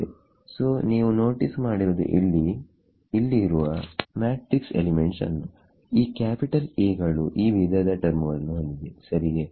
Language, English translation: Kannada, So, you notice that your matrix elements over here these capital A’s are consisting of these kinds of terms right